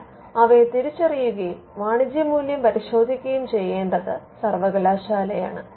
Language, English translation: Malayalam, So, identifying them and testing the commercial value is something which needs to be done by the university